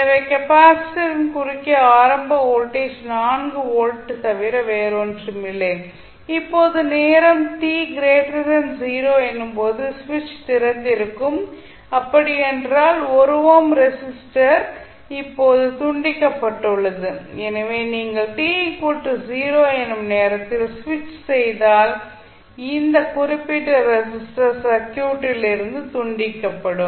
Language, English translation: Tamil, So the voltage across the capacitor will be 1 ohm multiply by 4 ampere that is 4 volt, so we get the initial voltage across capacitor is nothing but 4 volt, now when time t greater than 0 the switch is open that means the 1 ohm resistor is now disconnected so when you the switch at time t is equal to 0 this particular resistor will be disconnected from the circuit